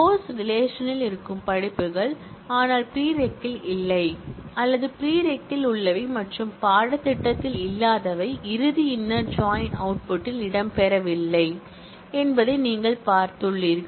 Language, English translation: Tamil, As you have seen that courses that exist in the course relation, but are not there in the prereq or the ones that exist in the prereq and is not there in the course are not featuring in the final inner join output